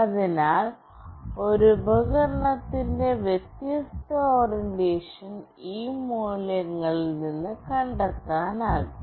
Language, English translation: Malayalam, So, different orientation of a device could be figured out from this value